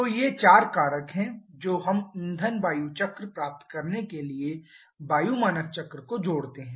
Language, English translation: Hindi, So, these are the 4 factors which we add over the air standard cycle to get the fuel air cycle